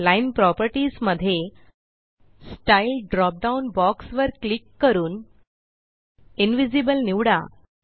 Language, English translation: Marathi, In Line properties, click on the Style drop down box and select Invisible